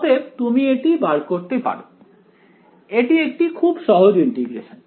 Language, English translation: Bengali, So, you can work this out, this is a very simple integration to do